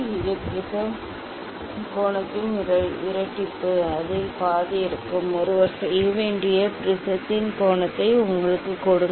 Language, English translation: Tamil, double of this prism angle so; half of it will give you the angle of the prism that that one has to do